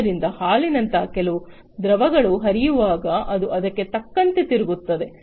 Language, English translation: Kannada, So, when some fluid such as milk will flow then it is going to rotate accordingly